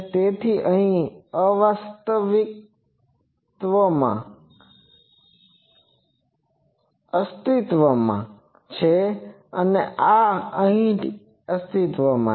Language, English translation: Gujarati, So, this is existing here this is existing here